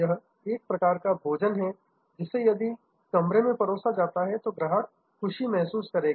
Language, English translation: Hindi, This is the kind of a food that if served in room dinning, the customer will feel happy